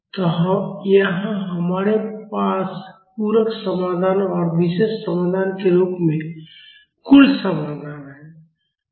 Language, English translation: Hindi, So, here we have the total solution as the complementary solution and the particular solution